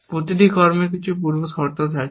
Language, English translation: Bengali, Every action has a few pre conditions